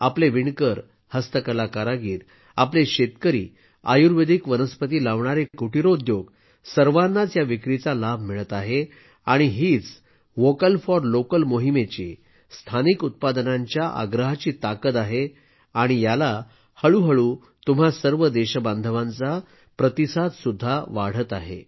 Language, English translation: Marathi, Benefiting from these sales are our weavers, handicraft artisans, our farmers, cottage industries engaged in growing Ayurvedic plants, everyone is getting the benefit of this sale… and, this is the strength of the 'Vocal for Local' campaign… gradually the support of all you countrymen is increasing